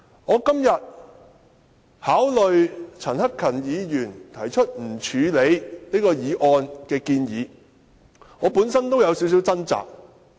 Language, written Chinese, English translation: Cantonese, 我今天考慮陳克勤議員提出不處理譴責議案的建議，我本身也有點掙扎。, Today when I ponder over Mr CHAN Hak - kans motion about taking no action on the censure motion I myself have struggled a bit